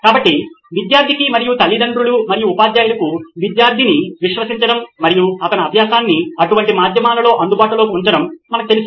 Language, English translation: Telugu, So it is difficult for the student and for parents and teachers to you know trust the student and make his learning available on such medias